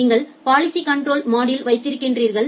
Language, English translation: Tamil, Then you have the policy control module